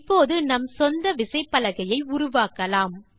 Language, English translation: Tamil, We shall now create our own keyboard